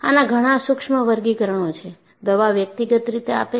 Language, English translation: Gujarati, There are so many subtle classifications; the medicine is individualistic